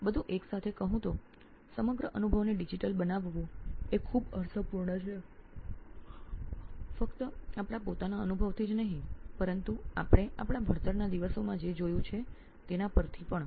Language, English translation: Gujarati, So bringing everything, making the entire experience digital makes a lot of sense not only from our own experience but also from what we have seen through our learning days